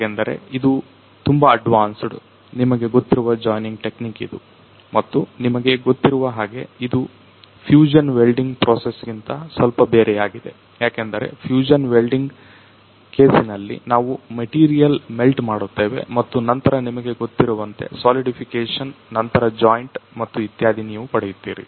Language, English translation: Kannada, So, it means it is the most advanced you know the joining technique and you know it is quite different from this the fusion welding process because in case of fusion welding we melt the material and then after that it gets you know the after solidification you gets the joint and all